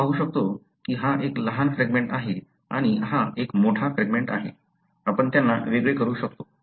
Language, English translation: Marathi, You can see that this is a smaller fragment and this is a larger fragment, we are able to separate them